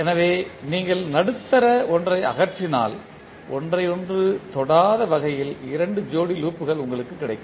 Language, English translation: Tamil, So, out of that if you remove the middle one you will get two sets of loops which are not touching to each other